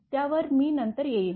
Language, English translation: Marathi, This one I will come later